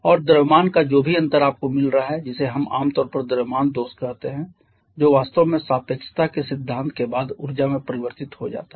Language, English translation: Hindi, And whatever difference of mass that you are getting which we commonly call the mass defect that actually gets converted to energy following the theory of relativity